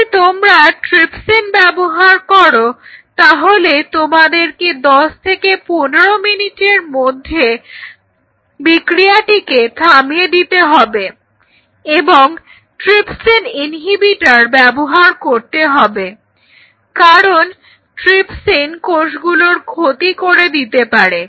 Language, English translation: Bengali, And if you use trypsin then you have to stop this trypsin reaction within after 10 to 15 minutes using something called trypsin inhibitor because trypsin is going to damage the cell